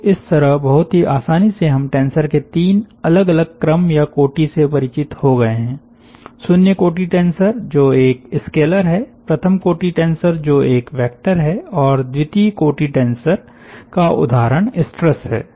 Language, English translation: Hindi, so we have very easily come across three different orders of tensors: tensor of order zero, which is a scalar, tensor of order one, which is a vector, and tensor of order two